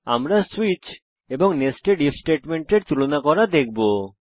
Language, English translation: Bengali, We will see the comparison between switch and nested if statement